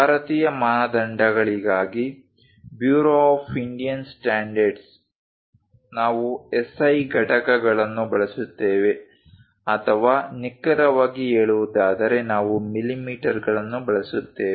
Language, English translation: Kannada, For Indian standards, Bureau of Indian standards we use SI units or precisely speaking we use millimeters